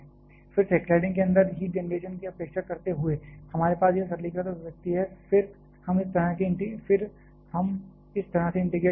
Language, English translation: Hindi, Again, neglecting the heat generation inside the cladding, we are having this simplified expression and then we can integrate this way